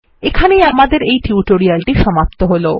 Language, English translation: Bengali, This brings me to the end of this tutorial at last